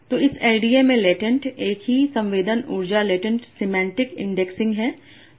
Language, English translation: Hindi, So, so latent in this LDS has the same same as in latent semantic indexing